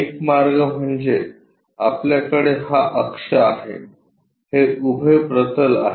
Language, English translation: Marathi, The way is we have this axis vertical plane